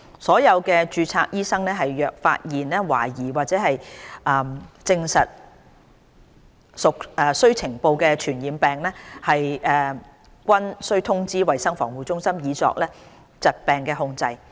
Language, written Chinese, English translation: Cantonese, 所有註冊醫生若發現懷疑或證實屬須呈報的傳染病，均須通知衞生防護中心以作疾病控制。, All registered medical practitioners are required to notify CHP of all suspected or confirmed cases of these diseases for the purpose of disease control